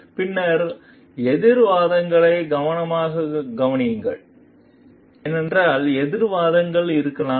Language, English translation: Tamil, Then carefully consider counter arguments, because there could be counter arguments